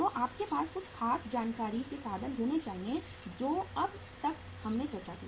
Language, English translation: Hindi, So you have to have certain information means till now what we discussed